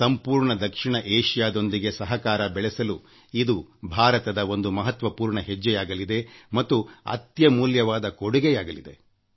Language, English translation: Kannada, It is an important step by India to enhance cooperation with the entire South Asia… it is an invaluable gift